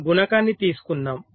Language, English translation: Telugu, lets take a multiplier